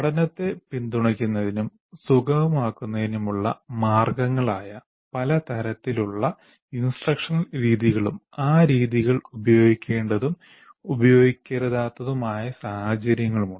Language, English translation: Malayalam, There are endless number of methods of instruction that is essentially ways to support and facilitate learning and the situations in which those methods should and should not be used